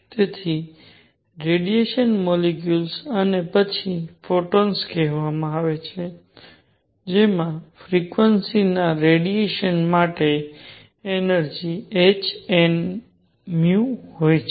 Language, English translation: Gujarati, So, radiation molecule and then called photons that have energy h nu for radiation of frequency nu